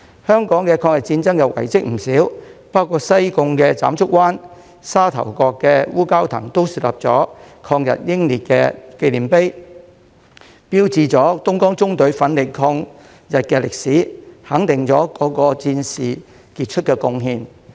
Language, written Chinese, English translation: Cantonese, 香港抗日戰爭遺蹟不少，包括西貢斬竹灣、沙頭角烏蛟騰也豎立了抗日英烈紀念碑，標誌着東江縱隊奮力抗日的歷史，肯定了各位戰士的傑出貢獻。, There are many historic relics of the War of Resistance in Hong Kong including monuments erected for anti - Japanese aggression martyrs in Tsam Chuk Wan Sai Kung and Wu Kau Tang Sha Tau Kok which commemorate the history of the Dongjiang Column mounting resilient defence against the Japanese and acknowledge the veterans exemplary contributions